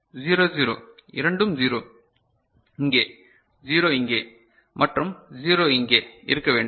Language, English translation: Tamil, Right, 0 0 both of them should 0 here, 0 here and 0 here right